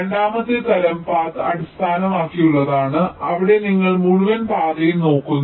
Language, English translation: Malayalam, the second type is path based, where you look at entire path and you try to optimize the timing of the path